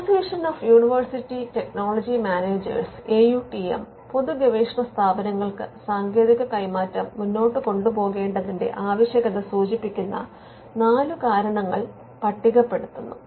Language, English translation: Malayalam, Now, the Association of University Technology Managers – AUTM, lists out four reasons for public research organizations to advance technology transfer